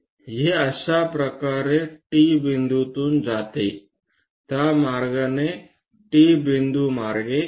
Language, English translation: Marathi, It goes via T point in this way; pass via T point in that way